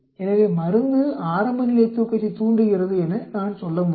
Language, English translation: Tamil, So I can say the drug induces early sleep